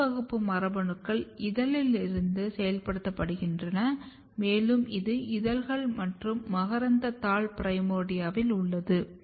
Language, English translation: Tamil, B class genes get activated from petal and it is in petal and stamen primordia